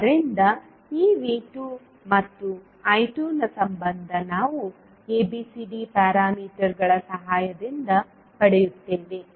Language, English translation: Kannada, So this relationship V 2 and I 2 we will get with the help of ABCD parameters